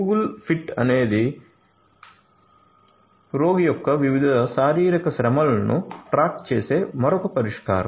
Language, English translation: Telugu, Google Fit is another solution which keeps track of different physical activities of the patient